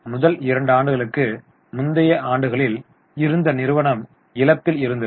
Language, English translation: Tamil, In the first two years, the company that is in earlier years, the company was in loss